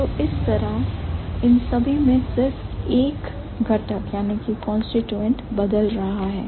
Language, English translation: Hindi, So, that is how in all of them only one constituent is changing